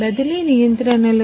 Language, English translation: Telugu, The transfer the controls